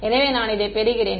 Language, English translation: Tamil, So, that I get this